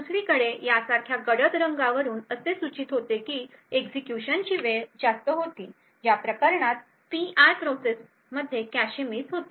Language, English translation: Marathi, On the other hand a darker color such as these over here would indicate that the execution time was higher in which case the P i process has incurred cache misses